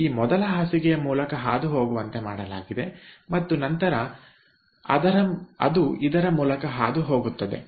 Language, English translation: Kannada, this is the first bed, so it is made to pass through this first bed and then it is passing through this here